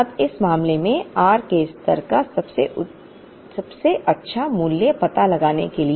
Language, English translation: Hindi, Now, in order to find out the best value of r the reorder level in this case